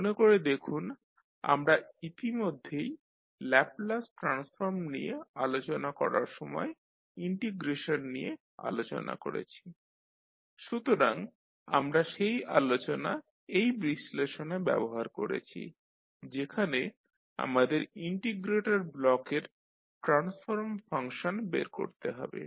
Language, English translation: Bengali, So, if you recall we discussed about the integration related when we were discussing about the Laplace transform so we used that discussion in this particular analysis where we want to find out the transfer function of the integrator block